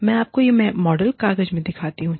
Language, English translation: Hindi, Let me show you this, this model in the paper